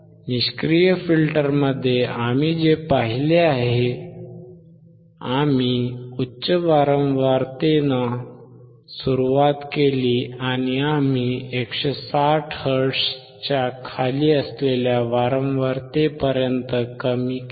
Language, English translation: Marathi, In the passive filter, what we have seen, we started with the high frequency, and we reduced down to the frequency which was below 160 hertz